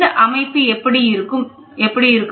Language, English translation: Tamil, So, this is how the setup looks like